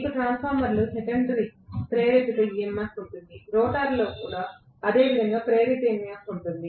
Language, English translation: Telugu, You will have secondary induced EMF in a transformer, the same way in the rotor there is an induced EMF